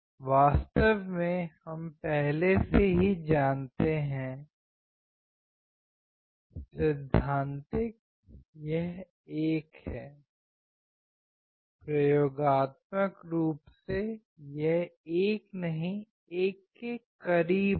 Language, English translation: Hindi, In fact, we have already known, the theoretical it is 1; experimentally it will be close to 1 not 1 all right